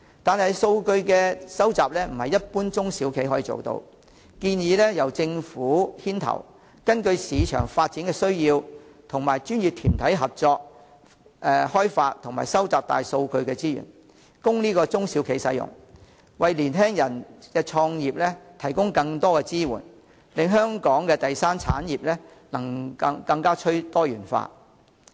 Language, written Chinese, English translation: Cantonese, 但是，數據收集非一般中小企可以做到，我建議由政府牽頭，根據市場發展需要，與專業團體合作開發及收集大數據資源，供中小企使用，為青年人的創業提供更多支援，令香港的第三產業更趨多元化。, However since data collection cannot be adequately handled by SMEs I advise the Government to take the lead to cooperate with professional organizations to based on the needs of market development develop and collect big data for use by SMEs so as to provide more assistance to young people for starting up businesses and make the tertiary industry of Hong Kong more diversified